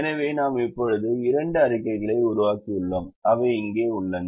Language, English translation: Tamil, so we have now created two reports which are here